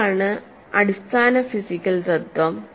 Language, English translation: Malayalam, And what is the physical principle